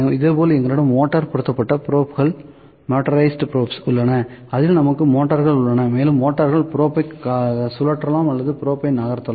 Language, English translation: Tamil, Similarly, we have motorized probes motorized probes in which just we have the motors and motors can just rotate the probe or move the probe